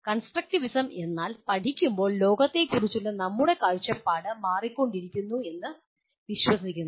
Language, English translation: Malayalam, First constructivism is what it believes is as we keep learning our view of the world keeps changing